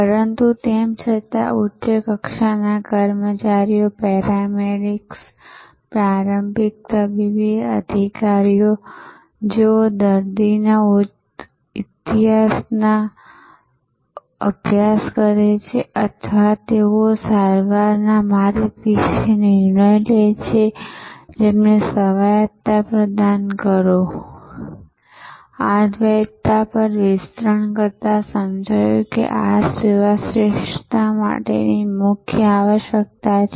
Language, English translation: Gujarati, But, yet provide autonomy some decision latitude to the frontline employees, the paramedics, the initial medical executives, who study the patient’s history or who decide about the treatment route, this duality with an expanded upon and understood that this is a key requirement for service excellence